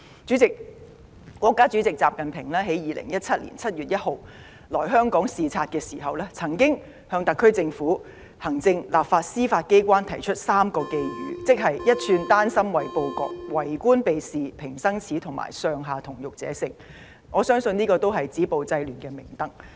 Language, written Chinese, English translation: Cantonese, 主席，國家主席習近平在2017年7月1日來香港視察時，曾向特區政府行政、立法及司法機關提出3個寄語，即"一寸丹心唯報國"、"為官避事平生耻"及"上下同欲者勝"，我相信這也是止暴制亂的明燈。, President when President Xi Jinping was visiting Hong Kong officially on 1 July 2017 citing classical and literary sources he said to the executive legislature and Judiciary of the SAR Government a valiant heart is eager to serve the country; a government official who shirks his responsibilities will live a shameful life; an army with officers and soldiers incited by the same spirit will win . I believe these three dicta are also beacons for the efforts at stopping violence and curbing disorder